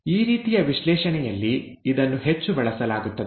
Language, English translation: Kannada, This is heavily used in this kind of analysis